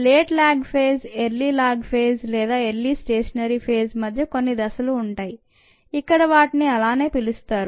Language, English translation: Telugu, there are some phases in between: the late log phase, the early log phase or the early stationary phase, as it is called here